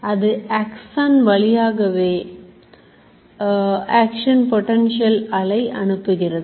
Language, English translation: Tamil, So it will send this wave of action potential through the axon